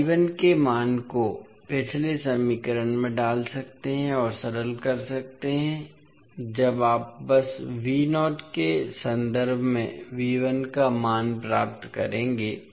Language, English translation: Hindi, So you can put the value of I 1 in the previous equation and simplify when you simply you will get the value of V 1 in terms of V naught